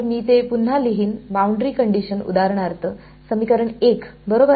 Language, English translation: Marathi, So, let me rewrite it boundary condition is for example, equation 1 right